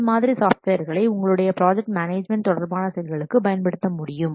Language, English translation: Tamil, These software you can use also project management related activities